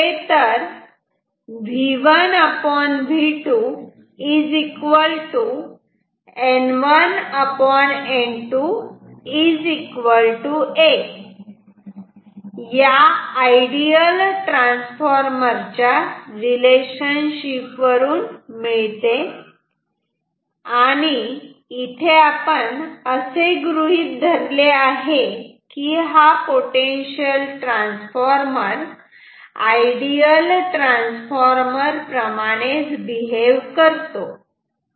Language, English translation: Marathi, So, this comes from the fact that V 1 by I mean V 1 by V 2 is equal to N 1 by N 2 equal to a for an ideal transformer and we believe that we will think that this transformer behaves like an ideal transformer